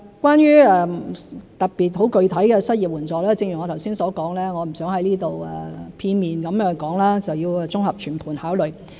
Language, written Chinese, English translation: Cantonese, 關於特別、具體的失業援助，正如我剛才所說，我不想再在這裏片面地說，而要綜合全盤考慮。, Regarding the provision of specific concrete unemployment support as I said earlier I do not wish to talk about it one - sidedly here as comprehensive and overall consideration is necessary